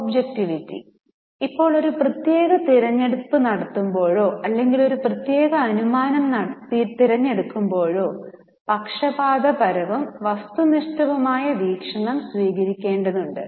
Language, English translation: Malayalam, Now whenever a particular choice is to be made or whenever a particular assumption is to be chosen, unbiased and objective view is to be taken